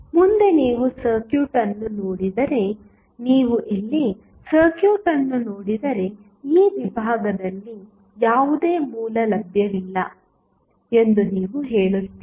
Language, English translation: Kannada, Now, what is next, next if you see the circuit, if you see the circuit here you will say there is no source available in this segment